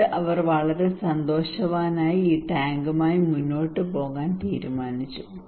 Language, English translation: Malayalam, And then he was very happy and decided to go for this tank